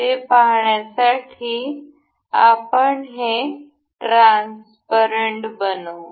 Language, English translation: Marathi, To see that, let us just make this transparent